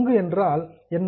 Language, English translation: Tamil, What is a share